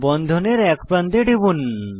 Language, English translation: Bengali, Click on one edge of the bond